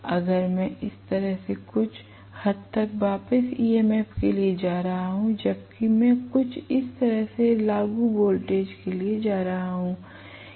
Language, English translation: Hindi, You get my point if I am going to have the back EMF somewhat like this, whereas I am going to have the applied voltage somewhat like this